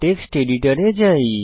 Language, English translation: Bengali, Switch to text editor